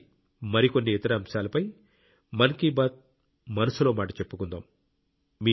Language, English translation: Telugu, Next time, we will discuss some more topics in 'Mann Ki Baat'